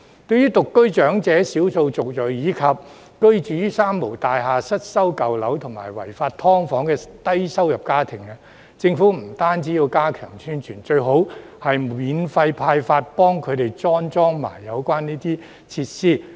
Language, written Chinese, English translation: Cantonese, 對於獨居長者、少數族裔，以及居於"三無大廈"、失修舊樓和違法"劏房"的低收入家庭，政府不僅要加強宣傳，最好向他們免費派發並安裝有關設施。, The Government should not only step up publicity among elderly persons living alone ethnic minorities and low - income families residing in three - nil buildings old and dilapidated buildings and unauthorized subdivided units but also provide and install the relevant equipment for them free of charge